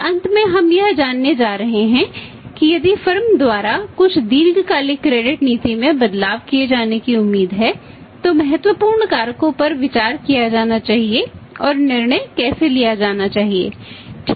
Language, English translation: Hindi, And finally we are going to learn about that if some long term credit policy changes are expected to be done by the firm then what important factors should be considered and how the decision should be taken right